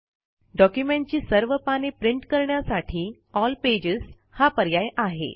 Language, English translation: Marathi, The All pages option is for printing all the pages of the document